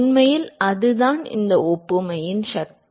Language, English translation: Tamil, In fact, that is the power of this analogy